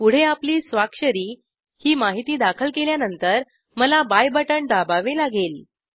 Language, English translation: Marathi, Next is your signature , After entering this information i have to press the buy button